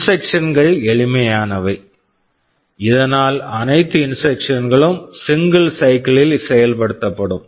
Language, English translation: Tamil, Instructions are simple so that all instructions can be executed in a single cycle